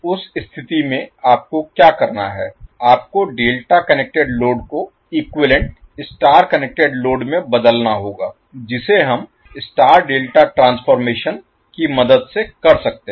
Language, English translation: Hindi, So in that case what you have to do, you have to convert delta connected load into equivalent star connected load which we can do with the help of star delta transformation